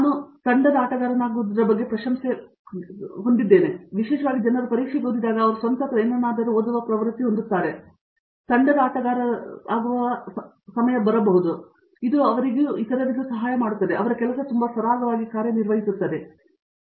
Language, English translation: Kannada, And, I appreciate the point on being a team player because I think especially when people read for exams may be they have a tendency to read on the own or something and then they have to get use to being a team player and it helps them, it helps the other and in all ways it works very smoothly, yes